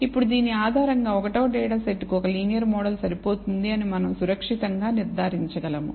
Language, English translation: Telugu, Now based on this we can safely conclude that data set one clearly a linear model is adequate